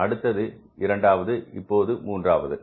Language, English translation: Tamil, This is the 2nd and this is the 3rd